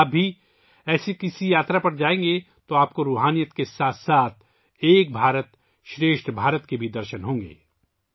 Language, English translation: Urdu, If you too go on such a journey, you will also have a glance of Ek Bharat Shreshtha Bharat along with spirituality